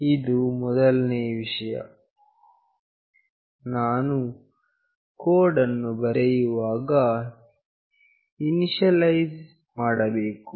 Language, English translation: Kannada, This is the first thing, we have to initialize when we write the code